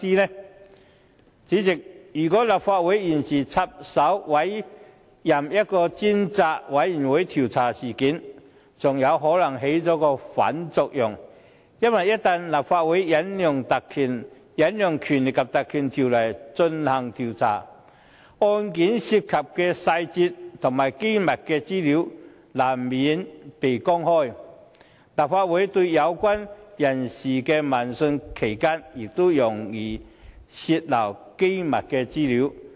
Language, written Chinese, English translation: Cantonese, 代理主席，如果立法會現時插手委任一個專責委員會調查事件，還有可能起了反作用，因為一旦立法會引用《立法會條例》進行調查，案件涉及的細節和機密資料難免被公開；立法會對有關人士的問訊期間亦容易泄漏機密資料。, Deputy President we may achieve the opposite effect if the Legislative Council intervenes now by appointing a select committee to inquire into the incident . If the Legislative Council Ordinance is invoked details and classified information related to the case will unavoidably be made public and leakage is likely during the committees hearings attended by the persons concerned